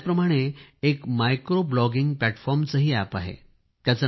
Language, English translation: Marathi, Similarly, there is also an app for micro blogging platform